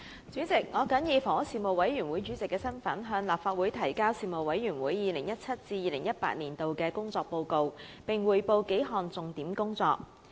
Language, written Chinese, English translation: Cantonese, 主席，我謹以房屋事務委員會主席的身份，向立法會提交事務委員會 2017-2018 年度的工作報告，並匯報數項重點工作。, President in my capacity as Chairman of the Panel on Housing the Panel I submit to the Legislative Council the report of the work of the Panel for the 2017 - 2018 session and report on several major areas of work of the Panel